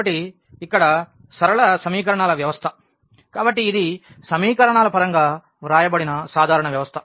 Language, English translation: Telugu, So, here the system of linear equations; so, this is a general system written in terms of the equations